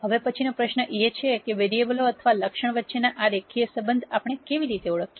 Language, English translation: Gujarati, Now we ask the next question as to how do we identify these linear relation ships among variables or attributes